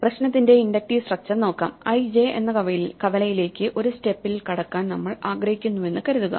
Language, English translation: Malayalam, Let us look at the inductive structure of the problem, suppose we say we want to get in one step to intersection (i, j)